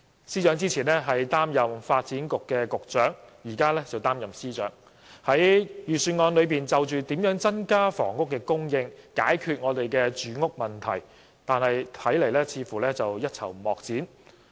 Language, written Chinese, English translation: Cantonese, 司長之前擔任發展局局長，現在則擔任財政司司長，但他在預算案中對於如何增加房屋供應，解決住屋問題，似乎一籌莫展。, Though the Financial Secretary previously served as the Secretary for Development it seems that he cannot do anything in the Budget to increase housing supply and solve housing problems